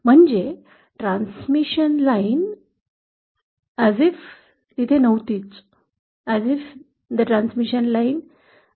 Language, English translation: Marathi, Means as if the transmission line is never present